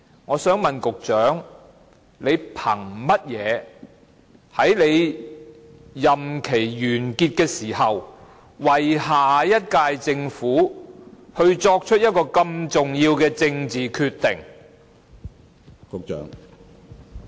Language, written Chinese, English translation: Cantonese, 我想問局長憑甚麼在他任期完結前，為下一屆政府作出這麼重要的政治決定？, May I ask based on what he can make such an important political decision for the next - term Government before the end of his term?